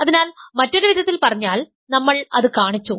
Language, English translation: Malayalam, So, in other words, we have showed that